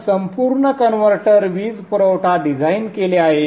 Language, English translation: Marathi, So the entire converter power supply is designed